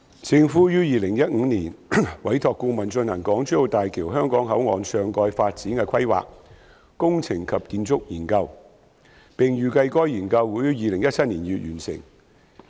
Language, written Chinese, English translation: Cantonese, 政府於2015年委託顧問進行《港珠澳大橋香港口岸上蓋發展的規劃、工程及建築研究》，並預計該研究會於2017年2月完成。, In 2015 the Government commissioned a consultant to conduct a Planning Engineering and Architectural Study for Topside Development at Hong Kong Boundary Crossing Facilities Island of Hong Kong - Zhuhai - Macao Bridge HZMB and expected that the study would be completed by February 2017